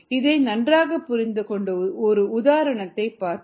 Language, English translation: Tamil, let us see an example to understand this a little better